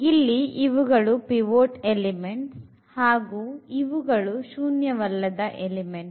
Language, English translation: Kannada, These are the; these are the pivot the pivotal elements and these are nonzero elements